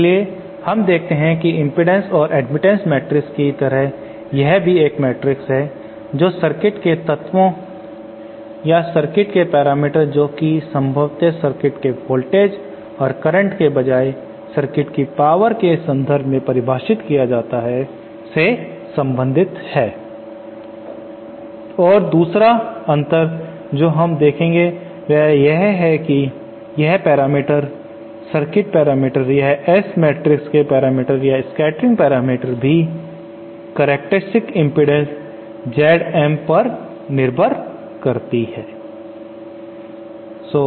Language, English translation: Hindi, So we see that just like the impedance and admittance matrix this is also a matrix that relates to circuit elements or 2 circuit parameters of course here the circuit parameters are defined in terms of power rather than voltages or currents and the other difference that we will see in a moment is that these parameters, the circuit parameters this S [Mat] parameters or scattering parameters are also dependent on the characteristic impedances Z M